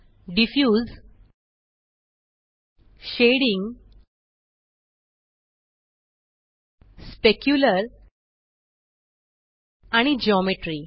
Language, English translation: Marathi, Diffuse, Shading, Specular and Geometry